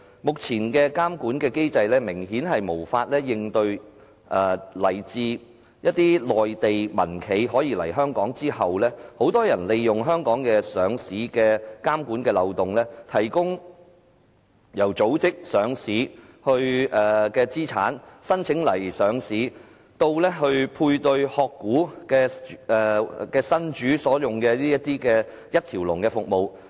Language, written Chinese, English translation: Cantonese, 目前的監管機制明顯無法應對來自一些內地民企來港上市之後的一些問題，包括很多人利用香港上市的監管漏洞，提供由組織上市資產、申請上市到配對"殼股"新主所用的一條龍服務。, Apparently the present regulatory regime cannot deal with certain problems arising from the listing of mainland private enterprises in Hong Kong which include the exploitation of the regulatory loopholes of listing in Hong Kong such as the provision of one - stop service ranging from the arrangement of listed assets and application for listing to the allocation of shell company to the new owners